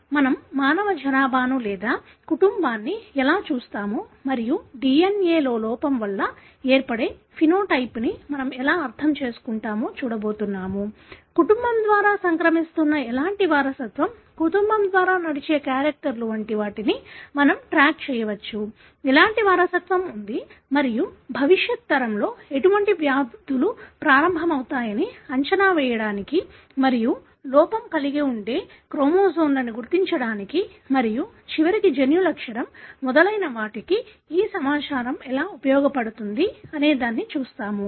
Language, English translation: Telugu, So, today what we are going to look into is how we look into the human population, or the family and understand the phenotype that you see which is resulting from the defect in the DNA; we can track them as to what kind of inheritance that is running through the family, the characters that run through the family; what kind of inheritance is there and how that information can be used to predict the onset of such diseases in the future generation and also to identify the chromosomes that could have the defect and eventually the gene characterization and so on